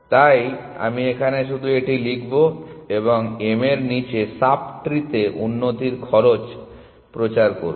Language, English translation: Bengali, So, I will just write this and propagate improve cost to sub tree below m